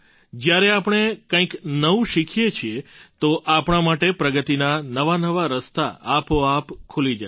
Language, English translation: Gujarati, When we learn something new, doors to new advances open up automatically for us